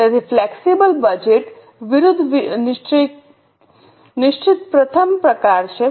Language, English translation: Gujarati, So, the first type is fixed versus flexible budget